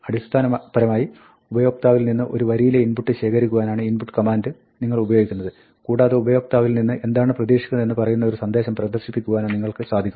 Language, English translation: Malayalam, Basically, you use the input command to read one line of input from the user and you can display a message to tell the user what is expected of him